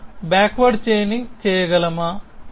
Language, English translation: Telugu, So, can we do backward chaining